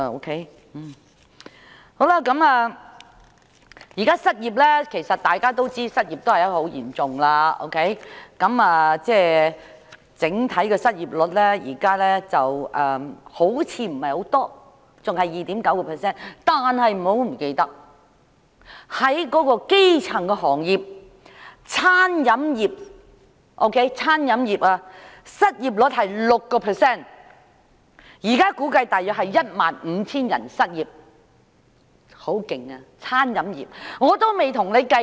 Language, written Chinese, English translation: Cantonese, 大家知道失業情況嚴重，儘管目前的整體失業率看似不高，仍然維持於 2.9%， 但不要忘記，在基層行業中，例如餐飲業的失業率是 6%， 現時估計約有 15,000 人失業，顯示餐飲業的失業情況很嚴重。, Whilst the overall unemployment rate remains at 2.9 % which does not seem to be very high at this moment let us not forget the predicament in the grass - roots industries . For instance the unemployment rate in the catering industry has reached 6 % . It is now estimated that about 15 000 people are jobless reflecting the acute unemployment problem in the catering industry